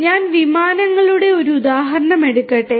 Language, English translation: Malayalam, So, let me just take an example of aircrafts